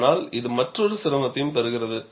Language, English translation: Tamil, But this also brings in another difficulty